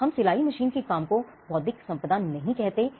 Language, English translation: Hindi, We do not say the work of the sewing machine as something intellectual property